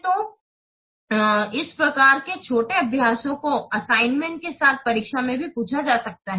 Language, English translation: Hindi, So, these types of small exercises may be asked in the assignments as well as in the examination